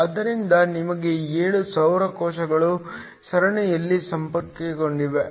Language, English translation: Kannada, So, the solar cells should be connected in series